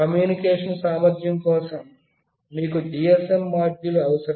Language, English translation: Telugu, Then for the communication capability, you will need a GSM module